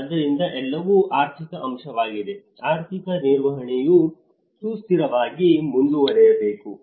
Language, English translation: Kannada, So, everything is an economic aspect; the economic management has to proceed in a sustainable